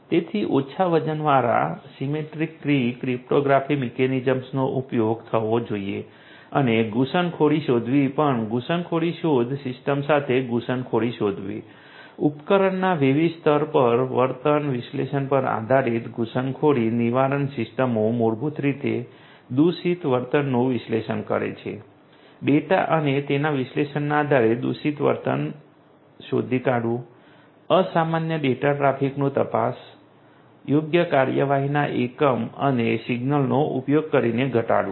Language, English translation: Gujarati, And so symmetric key cryptography lightweight symmetric key, cryptographic mechanisms should be used and also intrusion detection; intrusion detection you know coming up with intrusion detection system, intrusion prevention systems and based on behavioral analysis at different layers of the device you know basically analyzing the malicious behavior, detecting malicious behavior based on the data and it’s analysis, abnormal data traffic detection, mitigation using proper actuation unit and signal